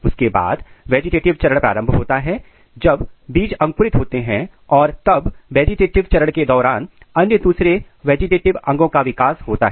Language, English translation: Hindi, Then vegetative phase starts when seeds are germinating and then during the vegetative phase all the vegetative organs are formed